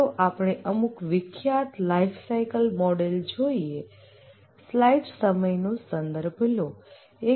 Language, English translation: Gujarati, Let's look at some popular lifecycle models